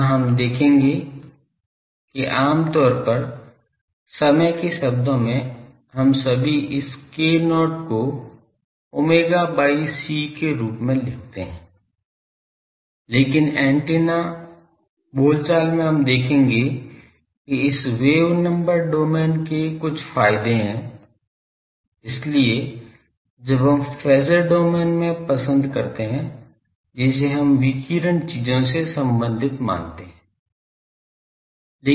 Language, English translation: Hindi, Here we will see that in time domain generally we all bring this k not as omega by c but in antenna parlance we will see that this wave number domain has some advantages that is why we prefer when we are in phasor domain we have considering the radiation things we do it